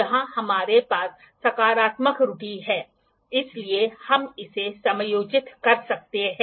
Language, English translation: Hindi, Here we have the positive error, so, we can adjust this